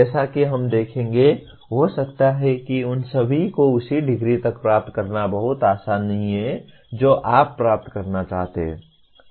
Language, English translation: Hindi, As we will see the, it may not be that very easy to attain all of them to the same degree that you want to attain